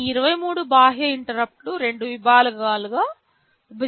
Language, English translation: Telugu, These 23 external interrupts are split into two sections